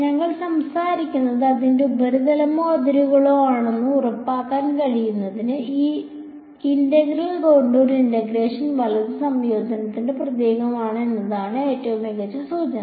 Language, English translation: Malayalam, And to tell to make sure that its a surface or a boundary we are talking about the best indication is that this integral is a the symbol of integrations the contour integration right